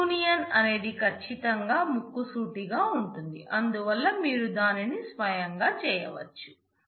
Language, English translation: Telugu, Union certainly straightforward, so you can do it yourself